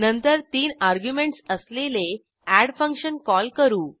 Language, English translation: Marathi, Then we call the function add with three arguments